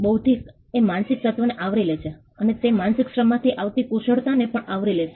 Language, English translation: Gujarati, Intellectual covers that mental element, it would also cover skills that come out of that mental labor